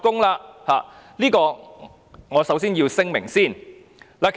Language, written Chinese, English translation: Cantonese, 這點是我首先要聲明的。, I have to make this point clear in the first place